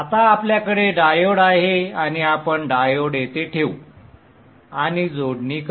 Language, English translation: Marathi, Okay, so now we have the diode and let us place the diode here and make the connections